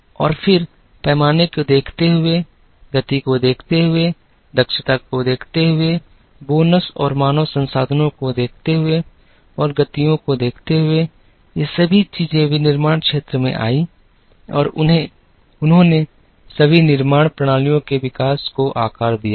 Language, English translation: Hindi, And then, looking at scale,looking at speed, looking at efficiency, looking at bonus and human resources and looking at motions, all these things came into manufacturing and they have all shaped up the evolution of manufacturing systems